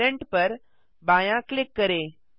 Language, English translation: Hindi, Left click Parent